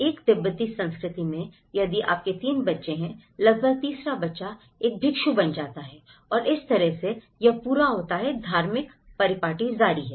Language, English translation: Hindi, In a Tibetan culture, if you have 3 children, almost the third child becomes a monk and that is how this whole religious pattern is continued